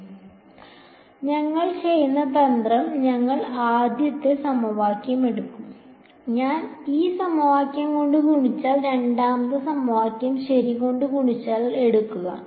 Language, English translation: Malayalam, So, so, well the trick that we will do is, we will take the first equation; supposing I take this first equation multiplied by g 1, take the second equation multiplied by phi 1 ok